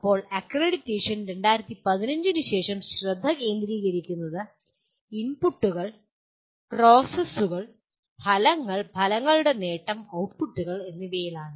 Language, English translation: Malayalam, Now, accreditation post 2015, the focus now is on inputs, processes and outcomes, outcomes and their attainment and outputs